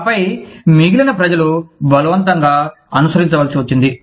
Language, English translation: Telugu, And then, the rest of the people, were forced to follow